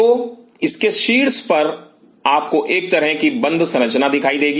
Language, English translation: Hindi, So, on the top of it you will see a kind of a enclose structure